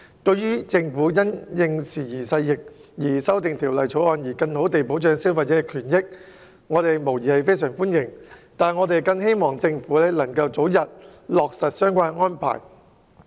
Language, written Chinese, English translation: Cantonese, 對於政府因應時移世易修訂《條例草案》，更好地保障消費者權益，我們表示非常歡迎，但我們希望政府能夠早日落實相關安排。, We welcome the Governments amendments to the Bill in keep abreast of the times so as to better protect consumer rights but we hope that the Government can make relevant arrangements as early as possible